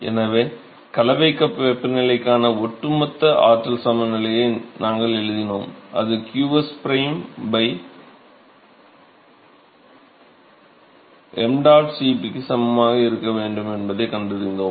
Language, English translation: Tamil, So, we wrote an overall energy balance for the mixing cup temperature, and we found that that should be equal to qs prime P by mdot Cp